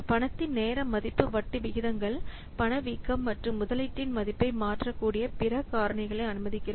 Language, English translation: Tamil, Also the time value of money, it allows for interest rates, inflation and other factors that might alter the value of the investment